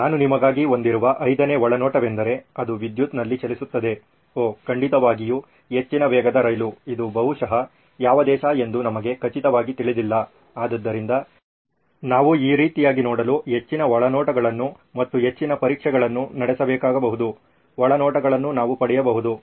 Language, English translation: Kannada, The fifth insight that I have for you is it runs on electricity, oh yeah definitely a high speed train, we do not know for sure which country it is probably, so we need probably to run more insights and more tests to see what kind of insights can we get